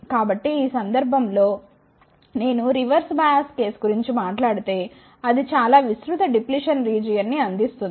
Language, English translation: Telugu, So, in this case if I talk about the reverse bias case, it will provide very wide depletion region